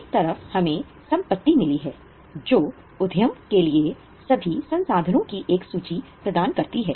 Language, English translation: Hindi, On one side we have got assets which provide a list of all the resources with the enterprise